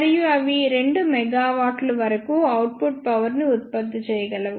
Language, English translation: Telugu, And they can produce output powers up to 2 megawatts